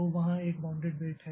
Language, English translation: Hindi, So, that is a bounded weight